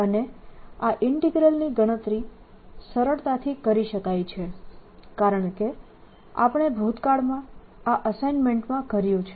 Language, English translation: Gujarati, and this integral can be easily calculated as we're done in the assignment in the past